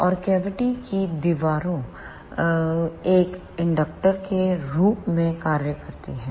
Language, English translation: Hindi, And the cavity walls acts as an inductor